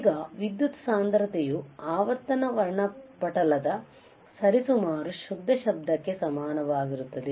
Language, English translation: Kannada, Now, power density is nearly equal to the frequency spectrum approximately the white noise